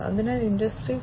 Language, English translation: Malayalam, So, in the context of Industry 4